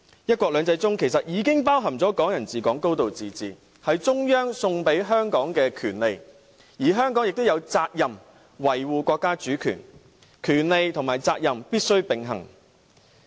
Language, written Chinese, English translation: Cantonese, "一國兩制"其實已經包含"港人治港"、"高度自治"，這是中央送給香港的權利，而香港也有責任維護國家主權，權利和責任必須並行。, Actually one country two systems already entails Hong Kong people ruling Hong Kong and a high degree of autonomy . These rights are given to Hong Kong as a gift by the Central Authorities . It is incumbent upon Hong Kong to uphold the countrys sovereignty and our rights and obligations must go hand in hand